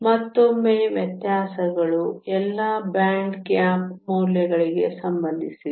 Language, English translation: Kannada, Once again the differences are all related to the band gap values